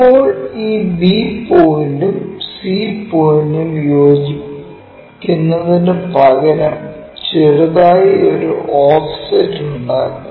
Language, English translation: Malayalam, Now, instead of having this b point and c point coinciding with slightly make an offset